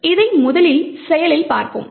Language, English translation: Tamil, So, we will first see this in action